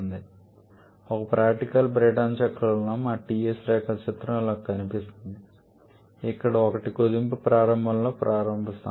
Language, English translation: Telugu, So, in a practical Brayton cycle our Ts diagram may look something like this, where 1 is the starting point at the beginning of compression